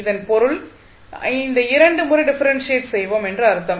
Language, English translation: Tamil, That means that you will differentiate it twice so, you will get the first component